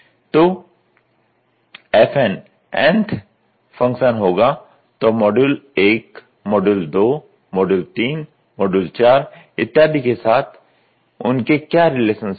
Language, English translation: Hindi, So, fn will be the n th function, what is their relationship with model 1, model 2, module 3, module 4 and etcetera you can do